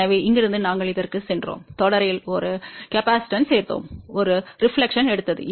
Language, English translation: Tamil, So, from here, we went to this, we added a capacitance in series, took a reflection